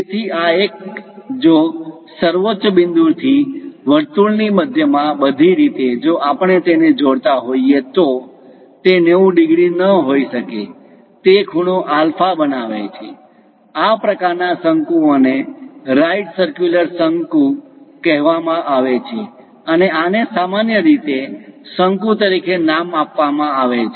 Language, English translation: Gujarati, So, this one if from apex all the way to centre of the circle, if we are joining that may not be 90 degrees; it makes an angle alpha, such kind of cones are called right circular cones, and these are generally named as cones